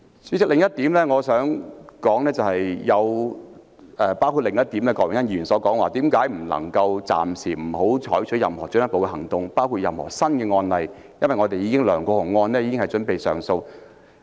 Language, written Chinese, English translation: Cantonese, 主席，我想說的另一點是，郭榮鏗議員亦提到為何不能暫停採取任何進一步行動，包括確立任何新的案例，因為梁國雄案已經準備上訴。, President another point I wish to make is that Mr Dennis KWOK wondered why we should not suspend further actions including opening any new cases since the LEUNG Kwok - hung case is set for an appeal